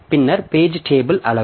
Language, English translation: Tamil, Then the page table size